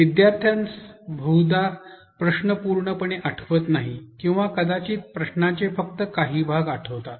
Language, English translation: Marathi, The student very likely does not remember the question completely or probably remembers only parts of the question